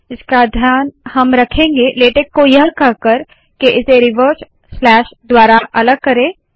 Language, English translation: Hindi, We will take care of that by telling latex to split this by the reverse slash